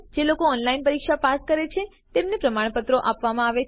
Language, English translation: Gujarati, They also give certificates to those who pass an online test